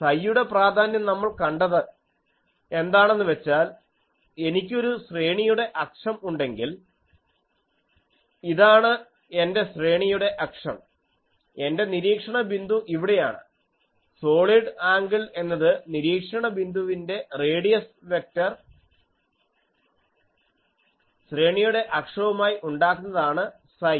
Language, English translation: Malayalam, The significance of psi, we have seen that if I have an array axis, this is my array axis, and my observation point is here, the solid angle that the observation points radius vector makes with the array axis is psi angle psi that was our thing